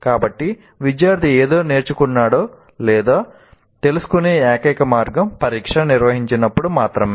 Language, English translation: Telugu, So the only way the student will know whether he has learned something or not is only when the examination is conducted